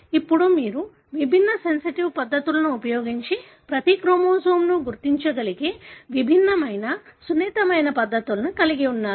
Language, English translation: Telugu, Now, you have very different sensitive methods by which you are able to identify each chromosome using different colours